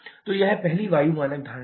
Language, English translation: Hindi, So, this is the first air standard assumption